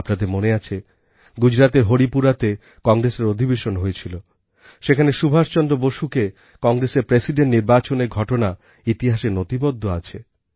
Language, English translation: Bengali, You may remember that in the Haripura Congress Session in Gujarat, Subhash Chandra Bose being elected as President is recorded in history